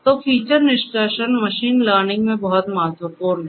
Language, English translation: Hindi, Then there is something called feature extraction which is very important in machine learning